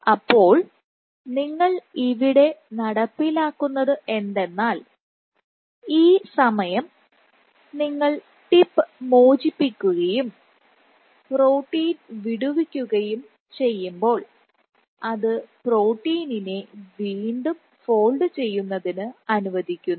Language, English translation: Malayalam, So, what you are introducing it is you would see that this time allows when you relax the tip release the protein it allows the protein to refold, and how do you know what is the signature of refolding